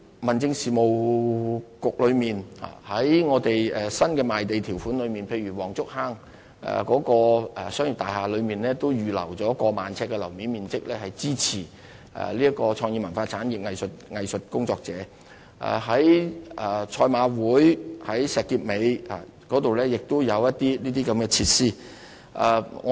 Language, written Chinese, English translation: Cantonese, 民政事務局透過我們的新賣地條款裏，例如黃竹坑的商業大廈都預留了逾萬平方呎的樓面面積，支持文化創意產業藝術工作者；在石硤尾的賽馬會創意藝術中心亦有這些設施。, The Home Affairs Bureau has through the introduction of new clauses in the Conditions of Sale for land lots provided support for cultural creative and arts workers . For instance we have reserved over 10 000 sq ft floor space for this purpose in an industrial building in Wong Chuk Hang; and similar facilities are provided at the Jockey Club Creative Arts Centre in Shek Kip Mei